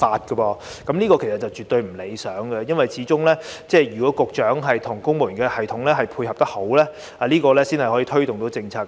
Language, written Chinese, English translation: Cantonese, "這情況絕對不理想，因為始終需要局長與公務員系統配合，才能推動政策。, This situation is definitely undesirable because after all policies can only be promoted with the cooperation between Directors of Bureaux and civil servants